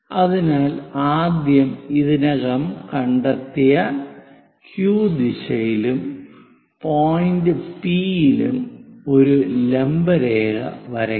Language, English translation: Malayalam, So, a vertical line all the way up in the Q direction first we have to draw and point P we have already located